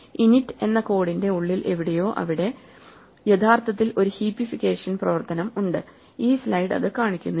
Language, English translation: Malayalam, So, somewhere inside the code of init there will be a heapification operation which we are not actually shown in this slide